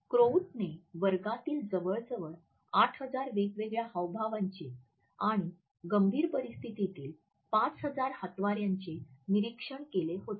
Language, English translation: Marathi, Krout is observed almost 8,000 distinct gestures in classroom behavior and 5,000 hand gestures in critical situations